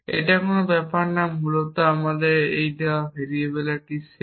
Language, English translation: Bengali, It does not matter basically it is a set of variable to given to us